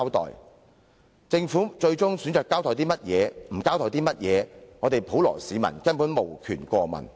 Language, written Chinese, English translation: Cantonese, 然而，政府最終選擇交代甚麼，不交代甚麼，普羅市民根本無權過問。, However whatever the Government decides to make public or to conceal the general public will have no say at all